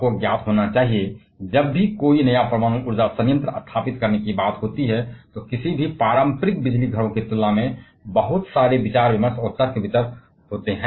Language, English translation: Hindi, Now you must be aware that, whenever there is a talk of setting up a new nuclear power plant, there will be lots and lots of deliberations and discussions and arguments compared to any conventional power stations